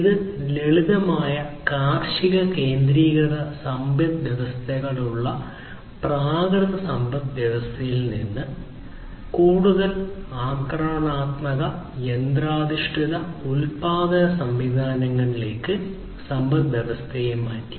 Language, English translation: Malayalam, And this basically shifted the economy from the primitive economy with simple agrarian centric economies to more aggressive machine oriented production systems and so on